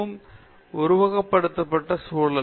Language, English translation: Tamil, So, it’s a highly simulated environment